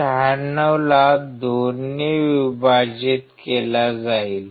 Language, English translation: Marathi, 96 divided by 2 right